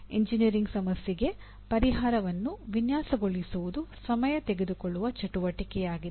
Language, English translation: Kannada, And because designing solution for an engineering problem is a time consuming activity